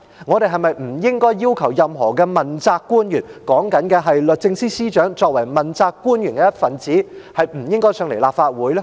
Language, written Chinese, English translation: Cantonese, 我們是否不應該要求任何問責官員——我是指律政司司長作為問責官員的一分子——不應該前來立法會？, Should we not ask any accountable official such as the Secretary for Justice to come to this Council because it is tantamount to exertion of pressure?